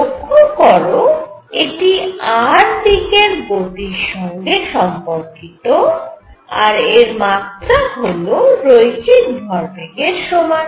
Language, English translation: Bengali, This you can see is connected to motion along r and has a dimension of linear momentum